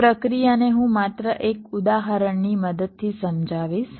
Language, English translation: Gujarati, so the process i will just explain with the help of an example